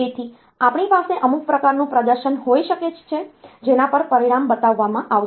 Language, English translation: Gujarati, So, we can have some type of display on to which the result will be shown